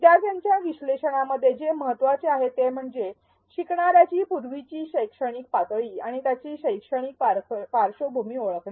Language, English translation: Marathi, What is important in learner analysis is to identify learner’s prior educational level and their educational background